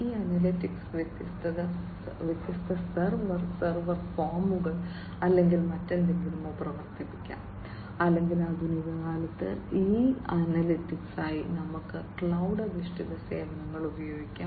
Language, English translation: Malayalam, And these analytics could be run at different server, server forms or whatever or in the modern day we can used cloud based services for these analytics, right